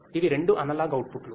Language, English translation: Telugu, These are the two analog outputs